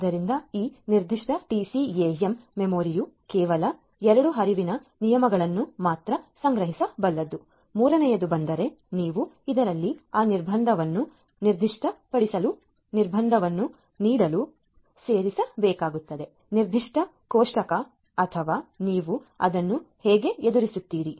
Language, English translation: Kannada, So, let us say that this particular TCAM memory can store only 2 flow rules, the third one comes and you will have to be either inserted to give the constraint to specify that constraint in this particular table or how do you deal with it; how do you deal with it